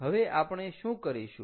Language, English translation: Gujarati, so what do we have to do